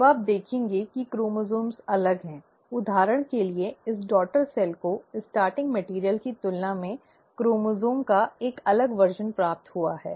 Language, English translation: Hindi, Now you will notice that the chromosomes are different; for example this daughter cell has received a different version of the chromosome than the starting material